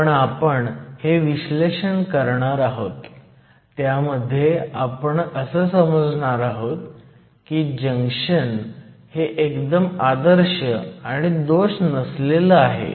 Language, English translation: Marathi, But for the analysis, we are going to do now; we are going to assume that we have an ideal junction that is there are no defects